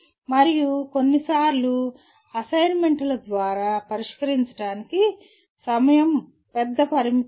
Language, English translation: Telugu, And sometimes through assignments where time for solving is not a major limitation